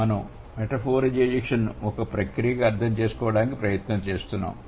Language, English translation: Telugu, We are trying to understand metaphorization as a process